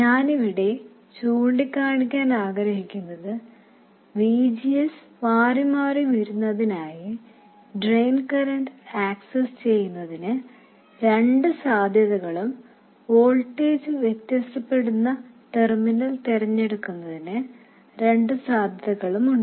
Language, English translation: Malayalam, What I want to point out here is that there are two possibilities for accessing the drain current and two possibilities for choosing the terminal at which to vary the voltage so that VGS is varied